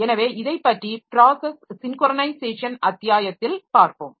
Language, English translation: Tamil, So, we'll look into this in process synchronization chapter as we'll say later